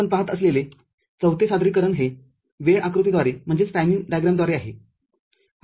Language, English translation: Marathi, The 4th representation that we see is through timing diagram